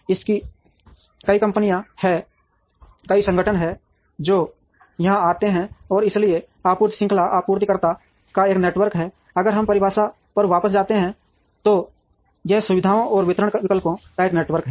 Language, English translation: Hindi, This has several companies, several organizations that come here, and therefore supply chain is a network of suppliers, if we go back to the definition it is a network of facilities and distribution options